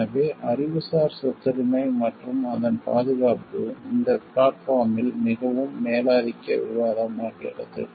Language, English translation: Tamil, So, I the Intellectual Property Rights and its protection becomes very dominant discussion in this platform